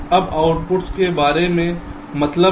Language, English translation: Hindi, f now means about the inputs